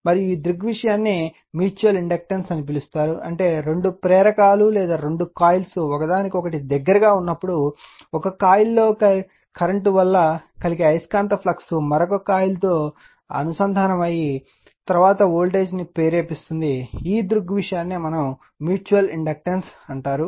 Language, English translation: Telugu, And this phenomenon is known as mutual inductance, that means, when two inductors or two coils are there in a close proximity to each other, the magnetic flux caused by current in one coil links with the other coil, thereby inducing voltage in the latter; this phenomenon is known as mutual inductance right